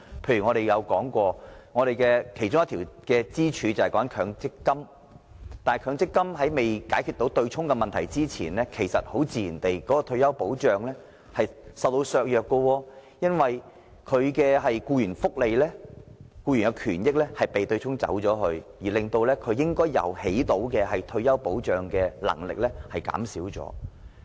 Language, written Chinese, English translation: Cantonese, 例如，我們曾經提出的其中一根支柱——強積金，但在強積金對沖問題獲得解決前，退休保障自然會被削弱，因為僱員權益會因為對沖而受損，以致強積金發揮的退休保障功能被削弱。, For example as we have mentioned one of the pillars is the Mandatory Provident Fund MPF but before the problem of the MPF offsetting arrangement is resolved it is only natural that the retirement protection will be undermined because the employees benefits will be reduced as a result of offsetting . Consequently the function of retirement protection exercised by MPF has been undermined